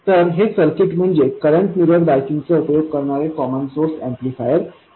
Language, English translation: Marathi, So this circuit is the common source amplifier using current mirror bias